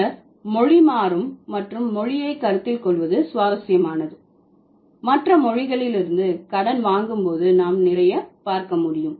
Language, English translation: Tamil, Then considering language is dynamic and language is interesting, we can also see a lot of borrowing from other languages